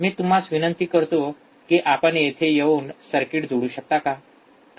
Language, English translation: Marathi, So, can you please come and connect the circuit